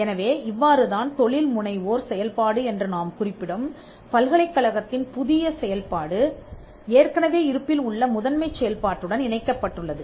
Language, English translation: Tamil, So, this is how the new function of a university what we call the entrepreneurial function is tied to one of its existing primary functions